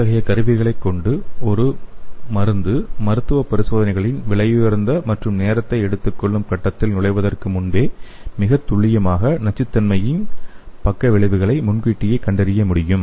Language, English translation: Tamil, So here the devices have the potential to predict the potential toxics side effects with higher accuracy before a drug enters the expensive and time consuming phase of clinical trials